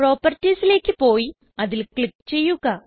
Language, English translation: Malayalam, Navigate to Properties and click on it